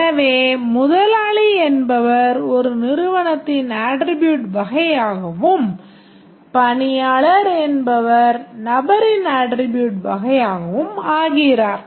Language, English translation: Tamil, So, this becomes a attribute type of company and this become the attribute type of the person